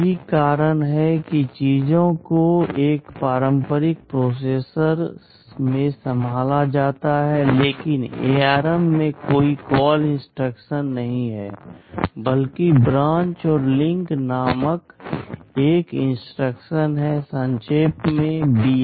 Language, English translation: Hindi, That is how the things are handled in a conventional processor, but in ARM there is no CALL instruction rather there is an instruction called branch and link, BL in short